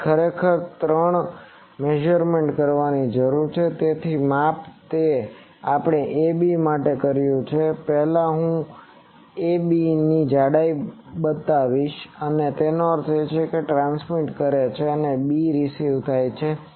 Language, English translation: Gujarati, So, actually three measurements need to be done one is the same measurement as we have done for ‘ab’ first I will make a pair of ‘ab’, that means a is transmitting and b is receiving